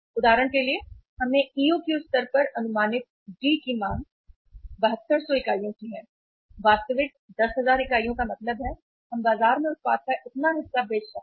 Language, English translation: Hindi, For example we have taken the parameters demand D estimated at EOQ level is 7200 units, actual is 10,000 units means we could sell that much of the product in the market